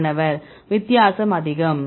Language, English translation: Tamil, Difference is high